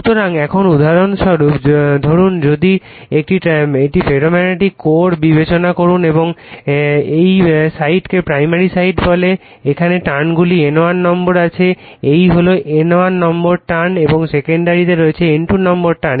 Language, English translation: Bengali, So, now, for example, suppose, if you consider your what you call a ferromagnetic core and you have your primary this side we call primary side say you have N1 number of turns here, it is N1 number of turns and you have the secondary you have N2 number of turns